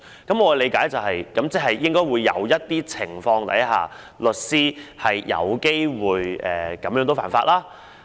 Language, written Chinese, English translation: Cantonese, "我的理解是，在某些情況下，律師有機會犯法。, My understanding is that lawyers may break the law in some cases